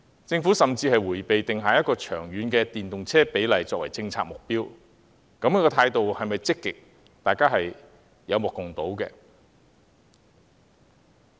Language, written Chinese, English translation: Cantonese, 政府甚至迴避定下一個長遠的電動車比例作為政策目標，如此態度是否積極，大家有目共睹。, To make it worse the Government has avoided setting a long - term proportion of electric vehicles as its policy objective . It should be obvious to all whether the Government is taking an active attitude